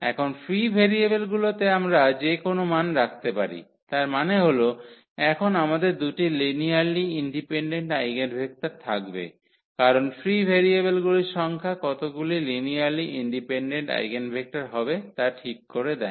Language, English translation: Bengali, So, we can assign any value to them; that means, we are going to have now two linearly independent eigenvectors because a number of free variables decide exactly how many linearly independent eigenvectors we will get